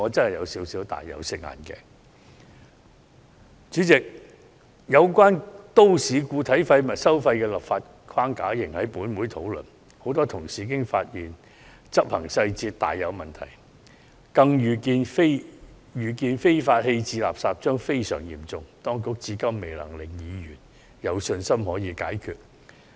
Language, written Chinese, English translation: Cantonese, 代理主席，本會仍在討論有關都市固體廢物收費的立法框架，而許多同事已經發現執行細節大有問題，更預見非法棄置垃圾將非常嚴重，當局至今未能令議員有信心可以解決這個問題。, Deputy President the legal framework for municipal solid waste charging is still under discussion . Many colleagues have found serious problems in the implementation details and they could foresee that illegal littering will become a very serious issue . So far the Administration has failed to convince Members that the problem can be solved